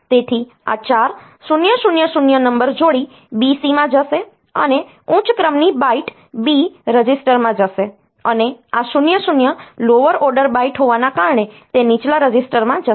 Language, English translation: Gujarati, So, this 4000 number will go to the pair BC and out of that this 4 40 being the higher order byte will go to the higher at the higher register, that is B register and this 0 0 being the lower order byte will go to the lower register